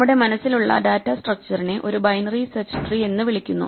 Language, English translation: Malayalam, The data structure we have in mind is called a binary search tree